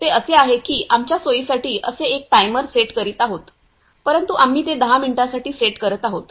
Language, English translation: Marathi, So, how we are approaching on this is we are setting a timer for like that is on our convenience, but we are setting it for 10 minutes